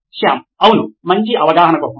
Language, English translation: Telugu, Shyam: Yeah, for better understanding